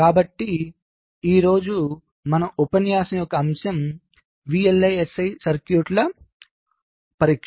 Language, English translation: Telugu, ok, so the topic of our lecture today is testing of vlsi circuits